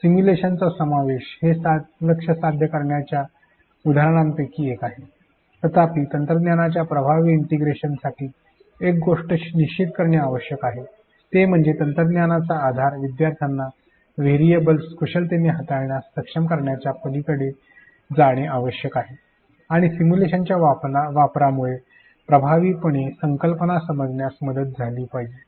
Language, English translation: Marathi, Incorporation of simulation is one of the examples of achieving this goal; however, in order for effective integration of technology one thing that needs to be mean sure is that the technology support should go beyond learners being able to manipulate the variables and that the use of simulation should help in effective understanding of the concept